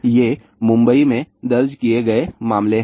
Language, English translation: Hindi, These are the cases reported in Mumbai